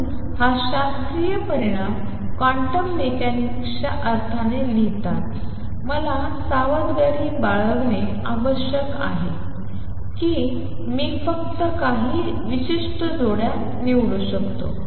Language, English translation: Marathi, So, while writing this classical result in a quantum mechanics sense, I have to be careful I can choose only certain combinations